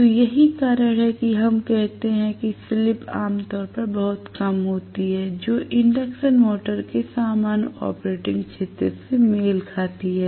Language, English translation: Hindi, So, that is the reason why we say slip is generally normally very much less than one corresponds to the normal operating region of the induction motor